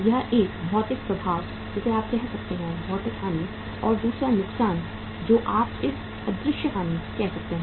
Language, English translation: Hindi, This is one, material effect you can say, material loss and the other loss which is in you can call it as invisible loss